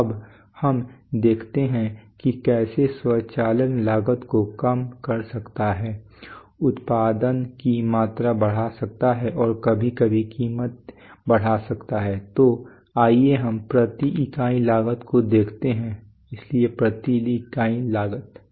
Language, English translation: Hindi, So now let us see that how automation can bring down costs can increase production volume and sometimes can increase price so let us look at cost per unit so cost per units